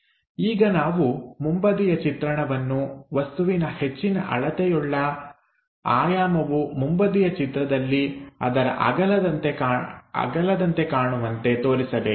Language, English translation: Kannada, Now, we have to pick the front view to decide that longest dimension of an object should represented as width in front view